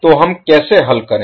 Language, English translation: Hindi, So, how we solve